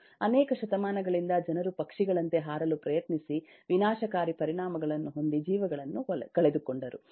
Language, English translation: Kannada, for centuries, people has tried to fly as birds, with disastrous effects